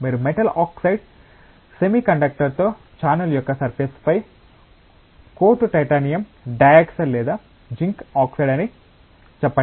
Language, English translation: Telugu, You coat the surface of a channel with a metal oxide semiconductor say titanium dioxide or zinc oxide